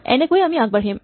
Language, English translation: Assamese, In this way we can proceed